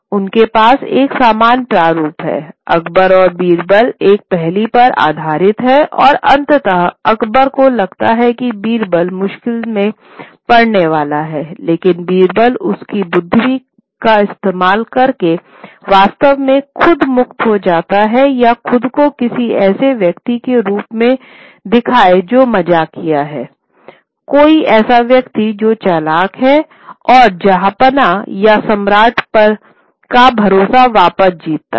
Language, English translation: Hindi, Akbar and Birbal, they're based on a riddle and ultimately Agbar thinks Birbal is going to get into trouble, but using his wit, Birbal actually manages to free himself or show himself as someone who is witty, someone who is clever, and wins back the trust of the Jahapana or the emperor